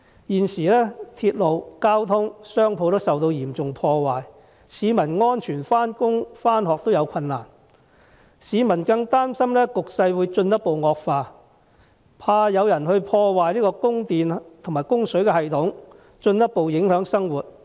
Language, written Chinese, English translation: Cantonese, 現時鐵路、道路、商鋪均受到嚴重破壞，市民要安全地上班、上學也有困難，市民更擔心局勢會進一步惡化，害怕有人會破壞供電和供水系統，進一步影響生活。, At present railways roads and shops have been seriously damaged and the public have difficulty going to work and school safely . The public are also concerned that the situation may deteriorate and that some people may damage the electricity and water supply systems thus affecting their lives further